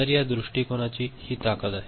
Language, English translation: Marathi, So, this is the strength of this approach